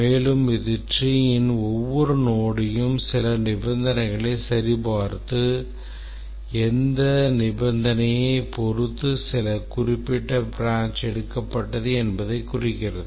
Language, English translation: Tamil, And this gives it a tree like appearance that every node of the tree some check is made on conditions and depending on which condition is satisfied that specific branch is taken